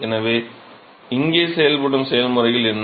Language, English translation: Tamil, So, what are the processes which are acting here